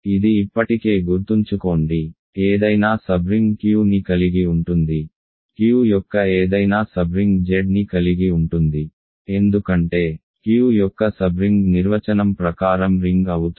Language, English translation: Telugu, Remember it already, any sub ring of Q contains, any sub ring of Q contains Z because a sub ring of Q is by definition a ring